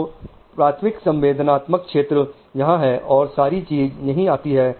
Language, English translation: Hindi, And so the primary sensory areas here, the whole thing comes here